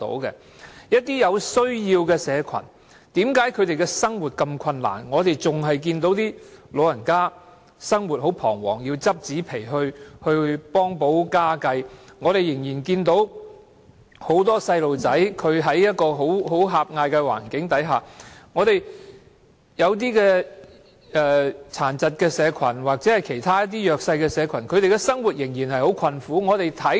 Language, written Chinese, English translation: Cantonese, 為何一些有需要的社群生活如此困難：我們仍然看到一些長者生活彷徨，要拾紙皮以幫補家計；我們仍然看到很多小孩生活在狹隘的環境當中；我們看到殘疾社群或其他弱勢社群的生活仍然很困苦。, Why are some needy social groups leading such a difficult life we still see some elderly persons face uncertainty in life and have to help make ends meet by collecting cardboards . We still see many children living in a cramped environment . We see people with disabilities or other disadvantaged groups still suffering from hardships in life